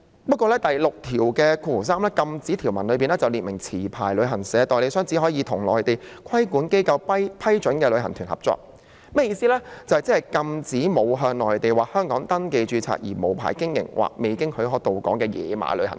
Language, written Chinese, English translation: Cantonese, 不過，第63條"禁止條文"下卻訂明持牌旅行代理商只可與內地規管機構批准下的旅行代理商合作，即是禁止沒有向內地或香港登記註冊而無牌經營或未經許可到港的"野馬"旅行團。, However clause 63 on Prohibitions stipulates that a licensed travel agent can only cooperate with travel agents approved by a regulatory organization in the Mainland that is it prohibits unauthorized tour groups that are not registered with either the Mainland or Hong Kong or their arrival to Hong Kong is unapproved